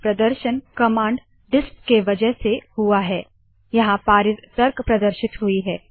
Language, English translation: Hindi, The display is due to the command disp the passed argument is displayed